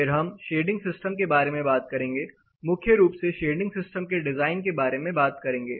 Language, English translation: Hindi, Then the next thing we will talk about is shading system, designing shading system primarily